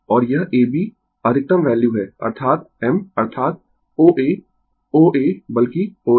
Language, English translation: Hindi, Ah And this A B is the maximum value that is your I m that is O A O a rather O a, right